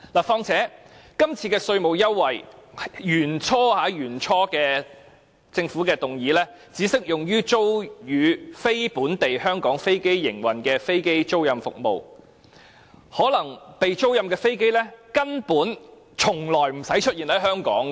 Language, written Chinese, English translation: Cantonese, 況且，根據政府原本的建議，這次的稅務優惠，只適用租予"非香港飛機營運商"的飛機租賃服務，租出的飛機根本無需出現在香港。, On top of this according to the original proposal of the Government the tax concession should only be applicable to the aircraft leasing service for non - Hong Kong aircraft operators and the leased aircraft need not appear in Hong Kong